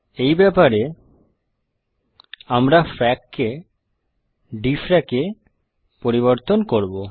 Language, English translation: Bengali, In view of this, let us change frac to dfrac